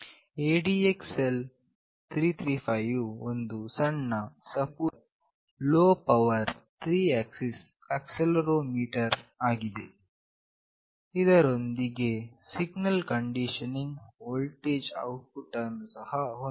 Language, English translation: Kannada, The ADXL 355 is a small, thin, and low power 3 axis accelerometer with signal condition voltage output